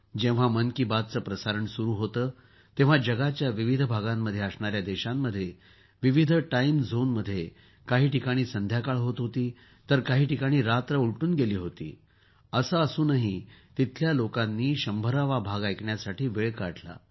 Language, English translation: Marathi, When 'Mann Ki Baat' was broadcast, in different countries of the world, in various time zones, somewhere it was evening and somewhere it was late night… despite that, a large number of people took time out to listen to the 100th episode